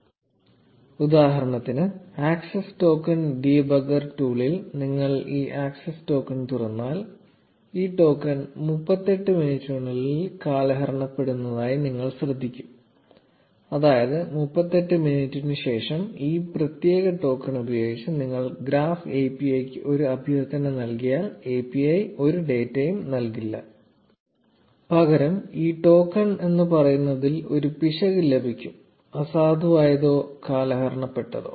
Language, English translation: Malayalam, For example, if you open this access token in the access token debugger tool, you will notice that this token expires in 38 minutes, which means that if you make a request to the Graph API using this particular token after 38 minutes, the API will not return any data, instead it will return an error saying that this token is invalid or expired